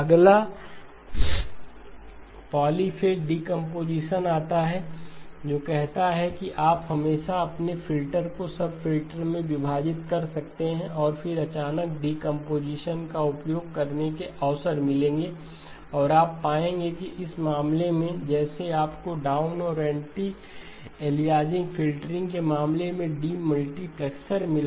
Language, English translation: Hindi, The next comes polyphase decomposition which says you can always split your filter into sub filters and then all of a sudden the opportunities to use the decomposition and you will find that in this case just like you got the demultiplexer in the case of the down and the anti aliasing filtering